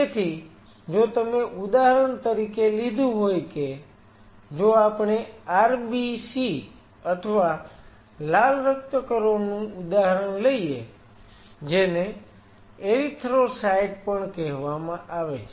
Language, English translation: Gujarati, So, if you taken for example, if we take the example of RBC or red blood cell which is also called erythrocytes